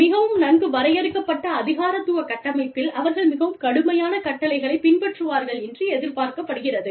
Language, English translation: Tamil, In a very well defined bureaucratic structure, where they are expected, to follow orders, where there is, very strict chain of command